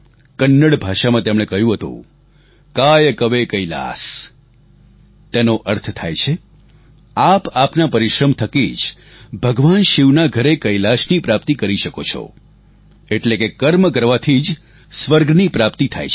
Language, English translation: Gujarati, He had mentioned in Kannada "Kaay Kave Kailas"… it means, it is just through your perseverance that you can obtain Kailash, the abode of Shiva